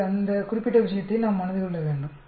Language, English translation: Tamil, So we need to keep that particular point in mind